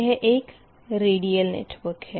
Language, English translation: Hindi, so it is a radial network